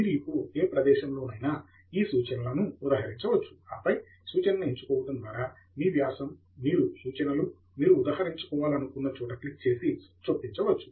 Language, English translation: Telugu, You can now cite a reference at any location in your article by clicking References, Insert Citation, and then, choosing the reference that you want to cite